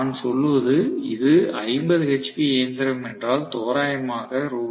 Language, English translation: Tamil, I am rather saying if it is 50 hp machine, roughly it is Rs